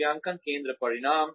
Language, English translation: Hindi, Assessment center results